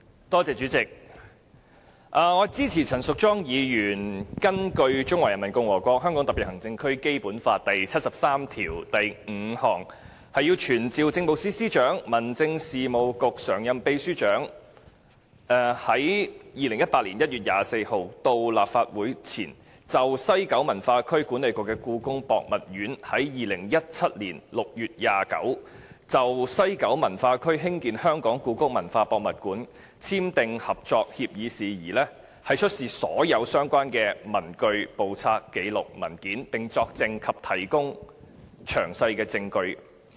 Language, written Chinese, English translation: Cantonese, 代理主席，我支持陳淑莊議員根據《中華人民共和國香港特別行政區基本法》第七十三條第五項及第七十三條第十項，傳召政務司司長及民政事務局常任秘書長於2018年1月24日到立法會席前，就西九文化區管理局與故宮博物院於2017年6月29日就在西九文化區興建香港故宮文化博物館簽訂合作協議的事宜，出示所有相關的文據、簿冊、紀錄和文件，並且作證及提供證據。, Deputy President I support that Ms Tanya CHAN pursuant to Articles 735 and 7310 of the Basic Law of the Hong Kong Special Administrative Region of the Peoples Republic of China summons the Chief Secretary for Administration and the Permanent Secretary for Home Affairs to attend before the Council on 24 January 2018 to produce all relevant papers books records or documents and to testify or give evidence in relation to the West Kowloon Cultural District Authority WKCDAs agreement with the Beijing Palace Museum signed on 29 June 2017 regarding the building of the Hong Kong Palace Museum HKPM in the West Kowloon Cultural District WKCD